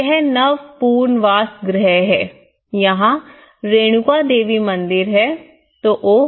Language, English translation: Hindi, This is newly relocation houses, I say this is Renuka Devi temple then oh